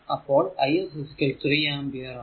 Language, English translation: Malayalam, 6, I and this is 5 ampere